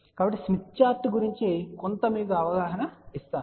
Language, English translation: Telugu, So, let me just give little bit of a more brief overview of smith chart